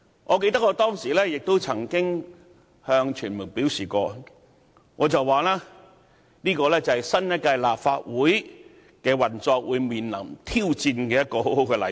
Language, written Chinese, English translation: Cantonese, 我記得我當時曾向傳媒表示，這是新一屆立法會在運作上將會面對挑戰的好例子。, I recall telling the media back then that it was a typical example demonstrating the challenge to be met by the current Legislative Council in operation